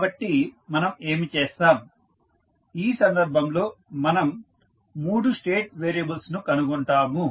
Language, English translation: Telugu, So, what we will do, we will find 3 state variables in this case